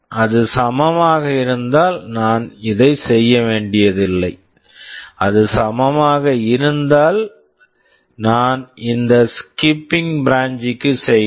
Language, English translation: Tamil, If it is equal then I am not supposed to do this; if it is equal I am branching to this SKIP